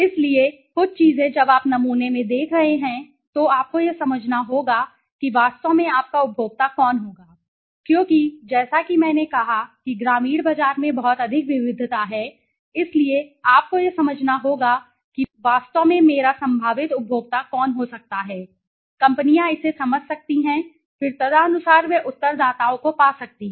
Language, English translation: Hindi, So, there some of things when you are looking in the sample you have to understand who exactly would be your consumer because as I said there is lot of heterogeneity in the rural market so you have to understand who exactly could be my possible consumer so once the companies can understand this then accordingly they can find the right respondents okay